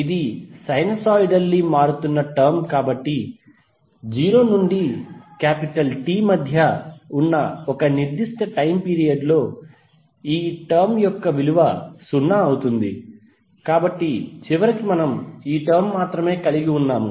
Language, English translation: Telugu, Since this is a sinusoidally wearing term, so the value of this term over one particular time period that is between 0 to T will become 0, so eventually what we have left with this only term 1